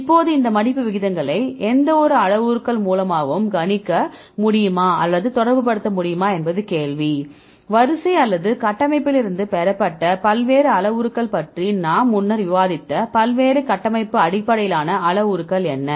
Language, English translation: Tamil, Now, the question is whether we are able to predict or relate these folding rates with any of the parameters right we discussed about various parameters obtained from sequence or structure what are the various structure based parameters we discussed earlier